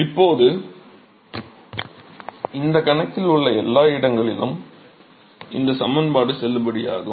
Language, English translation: Tamil, Now, this equation is valid at every location in the in this problem